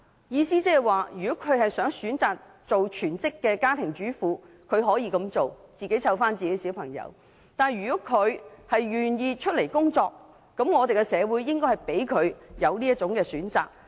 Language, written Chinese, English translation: Cantonese, 意思是如果她們選擇做全職家庭主婦，她們可以自己照顧子女；如果她們願意工作，那麼社會便應給她們這個選擇。, That means if they choose to be full - time housewives they can take care of their own children; or if they want to work then society should give them such an option too